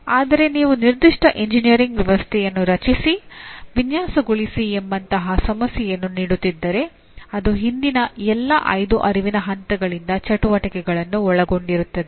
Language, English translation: Kannada, But if you say create, design a particular engineering system if you are giving it as a problem it is likely to involve activities from all the previous five cognitive levels